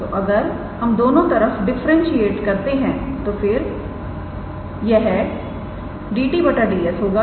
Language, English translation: Hindi, So, if we differentiate both sides then it will be dt ds